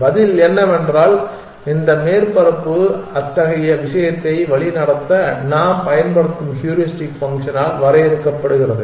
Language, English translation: Tamil, The answer is that this surface is defined by the heuristic function that we are using to guide such thing